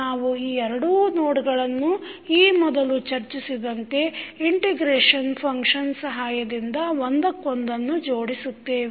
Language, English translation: Kannada, We will connect these two nodes with each other with the help of the integration function which we discussed